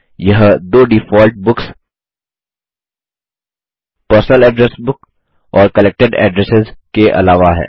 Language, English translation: Hindi, This is in addition to the two default books, that is, Personal Address Book and Collected Addresses